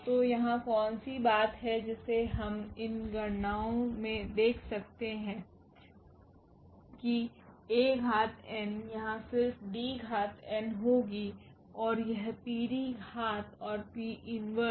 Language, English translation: Hindi, So, what is the point here that we can see out of these calculations that A power n will be also just D power n here and this PD power and P inverse